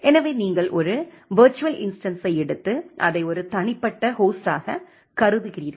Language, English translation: Tamil, So, you are taking a virtual instance of that and considering it as an as an a individual host